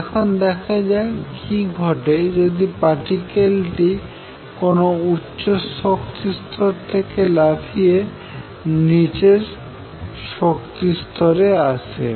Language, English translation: Bengali, Now, let us see what happens when this particle makes a jump from an upper level to a lower level